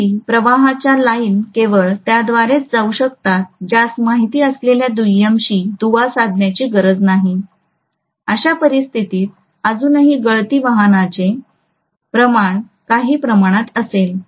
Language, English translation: Marathi, Still the lines of flux can go only through this it does not have to link the secondary who knows, in which case there will be still some amount of leakage flux